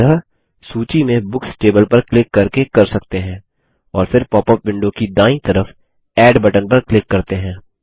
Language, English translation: Hindi, We will do this by clicking on the Books table in the list and then clicking on the Add button on the right in the popup window